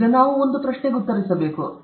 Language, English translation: Kannada, Now we have to answer a question, no